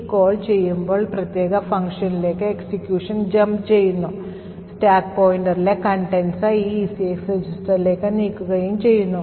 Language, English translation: Malayalam, What this call does is that it jumps to this particular function over here, move the contents of the stack pointer into this ECX register